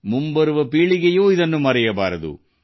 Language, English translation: Kannada, The generations to come should also not forget